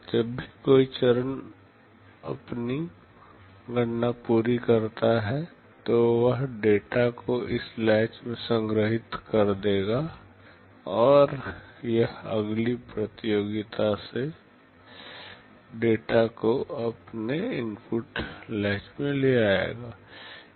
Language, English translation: Hindi, Whenever a stage completes its calculation, it will store the data into this latch, and it will take the data from the next competition into its input latch